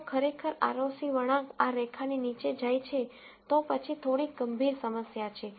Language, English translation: Gujarati, If actually the ROC curve goes below this line, then there is some serious problem